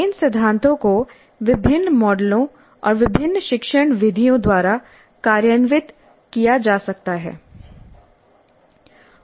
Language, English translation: Hindi, These principles can be implemented by different models and different instructional methods